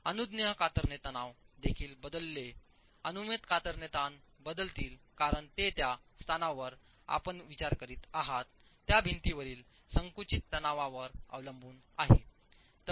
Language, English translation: Marathi, Permissible shear stresses will change because it depends on the compressive stress in the wall in that location that you're considering